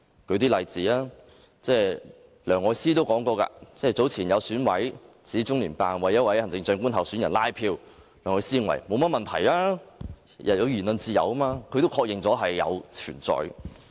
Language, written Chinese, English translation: Cantonese, 讓我舉一些例子，有選委早前指中聯辦為一位行政長官候選人拉票，梁愛詩認為沒有甚麼問題，每個人都有言論自由，她確認了這種情況的確存在。, Let me give some examples . When an EC member said earlier that LOCPG had canvassed votes for a particular candidate of the Chief Executive Election Elsie LEUNG commented that there was nothing wrong about it as everyone had the freedom of speech